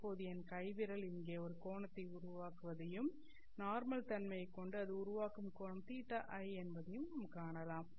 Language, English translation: Tamil, So now you can see that my hand finger is is actually making a angle here and the angle that it is making with respect to the normal is theta I